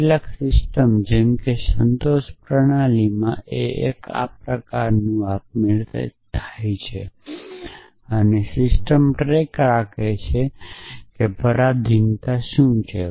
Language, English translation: Gujarati, So, in some systems like in satisfaction system that is kind of done automatically the system keeps track of what is the dependency